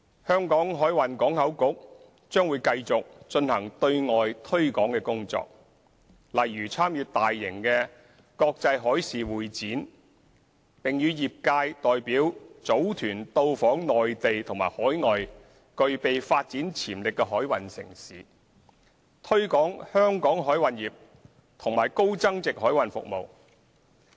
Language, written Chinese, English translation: Cantonese, 香港海運港口局將繼續進行對外推廣工作，例如參與大型的國際海事會展，並與業界代表組團到訪內地和海外具備發展潛力的海運城市，推廣香港海運業和高增值海運服務。, HKMPB will continue to carry out external promotion activities such as participating in large - scale international maritime conventions and exhibitions and organizing delegations with industry representatives to visit maritime cities in the Mainland and overseas with development potentials to promote Hong Kongs maritime industry and high value - added maritime services